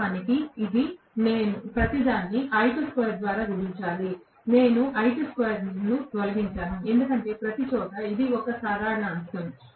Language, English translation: Telugu, Of course, I have to multiply everything by I2 square I have just eliminated I2 square because everywhere that is a common factor